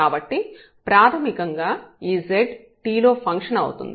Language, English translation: Telugu, So, basically this z is a function of t alone